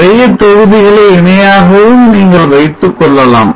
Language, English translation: Tamil, You can also have many modules in parallel